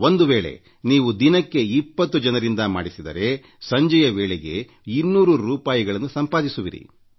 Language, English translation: Kannada, If you involve twenty persons in a day, by evening, you would've earned two hundred rupees